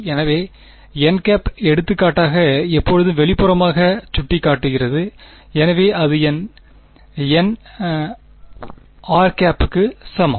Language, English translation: Tamil, So, n hat is for example, always pointing readily outwards, so that is my n hat is equal to my r hat